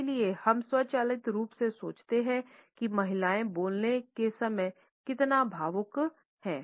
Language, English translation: Hindi, So, we automatically thinks women is so emotion when a speak